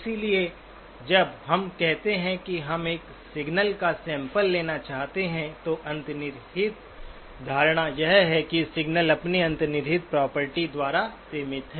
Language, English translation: Hindi, So our, by and large when we say that we want to sample a signal, the underlying assumption is that the signal is band limited by its inherent property